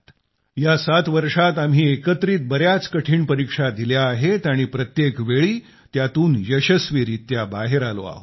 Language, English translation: Marathi, In these 7 years together, we have overcome many difficult tests as well, and each time we have all emerged stronger